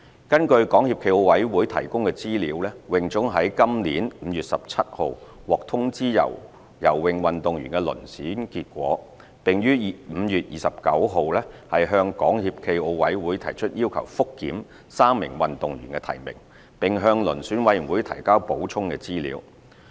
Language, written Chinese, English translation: Cantonese, 根據港協暨奧委會提供的資料，泳總於今年5月17日獲通知游泳運動員的遴選結果，並於5月29日向港協暨奧委會提出要求覆檢3名運動員的提名，並向遴選委員會提交補充資料。, According to the information provided by SFOC HKASA received the selection results of the Selection Committee on swimming athletes on 17 May 2018 . HKASA provided supplementary information and requested a review by the Selection Committee on the nominations of three swimming athletes on 29 May